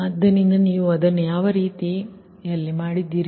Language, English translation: Kannada, what way you have done it, right